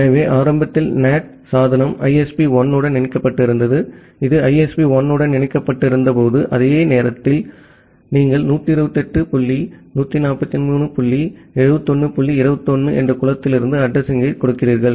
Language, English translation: Tamil, So, here is an example like say initially the NAT device was connected to ISP 1, when it was connected to ISP 1 during that time you are giving the address from a pool of 128 143 dot 71 dot 21